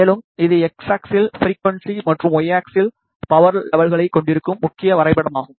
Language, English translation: Tamil, And, this is the main graph where you have frequency on the X axis and power level on the Y axis